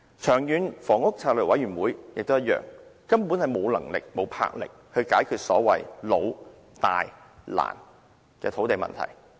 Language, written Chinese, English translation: Cantonese, 長遠房屋策略督導委員會也一樣，根本無能力、無魄力解決所謂"老、大、難"的土地問題。, The Long Term Housing Strategy Steering Committee is also the same . Basically it has no ability and the resolution to solve this long - standing major and difficult land problem